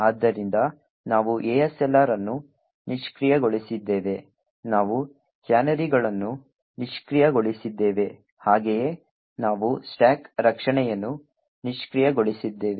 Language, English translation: Kannada, So we have disabled ASLR, we have disabled canaries, as well as we have disabled the stack protection